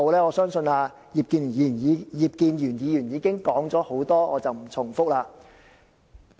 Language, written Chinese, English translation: Cantonese, 我相信葉建源議員已經提出了很多意見，我不重複了。, Since Mr IP Kin - yuen has already expressed a lot of views I will not repeat them here